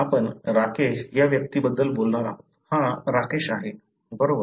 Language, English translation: Marathi, You are going to talk about the individual Rakesh, Here is Rakesh, right